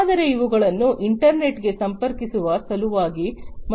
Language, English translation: Kannada, These ones can be connected to the internet